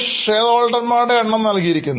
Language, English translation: Malayalam, The number of shareholders are given